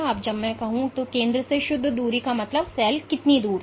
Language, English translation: Hindi, So, when I say net distance means from the center how far did the cell go